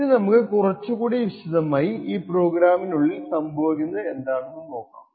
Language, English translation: Malayalam, So, let us look a little more in detail about what is happening inside this program